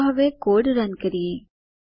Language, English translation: Gujarati, Lets now execute the code